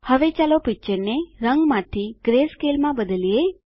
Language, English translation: Gujarati, Now let us change the picture from color to greyscale